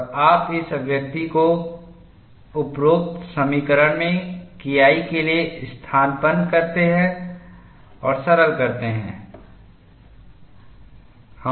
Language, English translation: Hindi, And you substitute this expression for K 1 in the above equation, and simplify